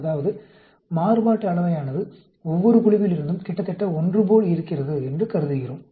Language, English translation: Tamil, That means, we assume that the variance is almost similar from each group